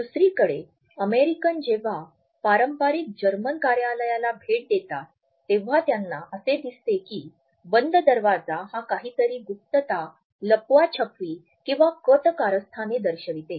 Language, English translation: Marathi, On the other hand when Americans visit a traditional German office they find that the closed door are rather secretive they may even conceal something which is almost conspiratorial